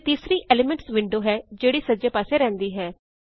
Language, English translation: Punjabi, And the third is the Elements window that floats on the right